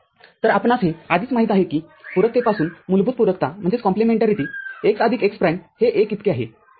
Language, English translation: Marathi, So, we already know that from the complementarity the basic complementarity, x plus x prime is equal to 1